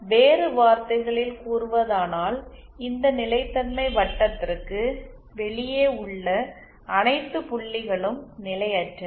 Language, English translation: Tamil, In other words what it means is all points outside this stability circle are potentially unstable